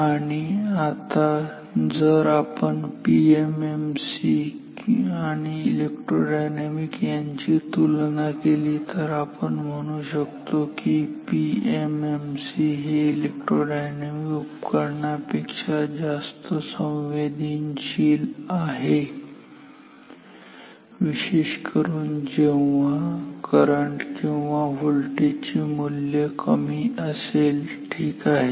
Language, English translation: Marathi, And, now if we compare PMMC and electro dynamic recall that we have said that PMMC is more sensitive than electro dynamic particularly for low values of current or maybe voltage ok